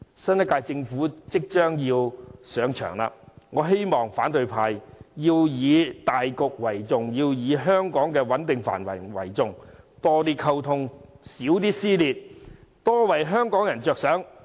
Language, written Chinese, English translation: Cantonese, 新一屆政府即將上場，我希望反對派以大局為主，以香港的穩定繁榮為重，多些溝通，少些撕裂，多為香港人着想。, As the new term of Government will take office soon I hope the opposition camp will give priority to the overall interest of society by maintaining stability and prosperity in Hong Kong . For the sake of Hong Kong people they should communicate more and avoid creating further rift in society